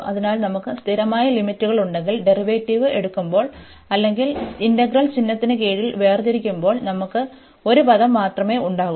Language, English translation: Malayalam, So, if we have the constant limits, we will have only the one term, when we take the derivative or we differentiate under integral sign